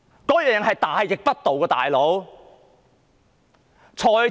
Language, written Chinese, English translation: Cantonese, "老兄"，這是大逆不道的要求。, My buddy it is treacherous to put up such a demand